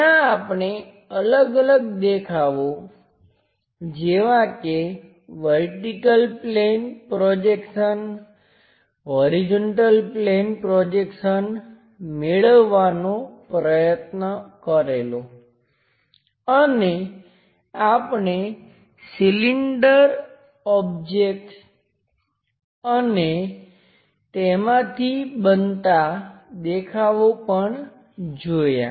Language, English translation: Gujarati, There we try to construct different views like vertical plane projections, horizontal plane projections and also, we tried to have feeling for cylindrical objects, the views created by that